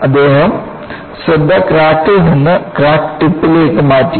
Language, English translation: Malayalam, He shifted the focus from the crack to the crack tip